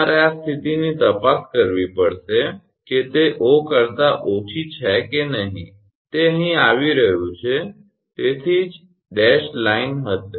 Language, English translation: Gujarati, You have to check this condition whether it is less than 0 or not here it is coming that is why it will be dashed line